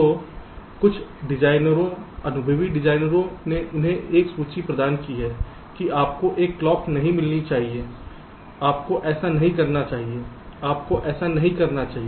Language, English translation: Hindi, so some designers, experienced designers, they have provided a list that you should not get a clock, you should not do this, you should not do that